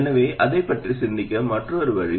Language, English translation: Tamil, That's another way to think about it